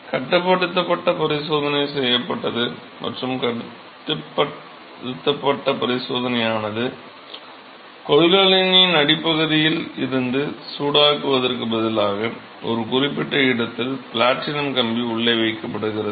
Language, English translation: Tamil, The controlled experiment was performed and the way controlled experiment was performed is instead of heating from the bottom of the container, platinum wire is placed inside at a specific location